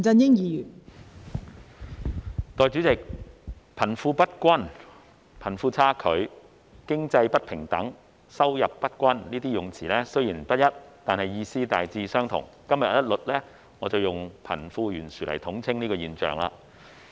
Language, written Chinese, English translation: Cantonese, 代理主席，貧富不均、貧富差距、經濟不平等、收入不均，這些用詞雖然不一，但意思大致相同，我今日一律以貧富懸殊來統稱這現象。, Deputy President the imbalance or the discrepancy between the rich and the poor economic inequality income disparity all these wordings are different but their meaning is more or less the same . I will use the term the disparity between the rich and the poor to refer to these phenomena collectively